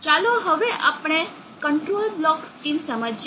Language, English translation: Gujarati, Now let us understand the control block schema